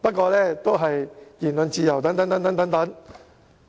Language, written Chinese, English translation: Cantonese, "，總之搬出言論自由等理由。, Anyway they will advance various reasons such as freedom of speech etc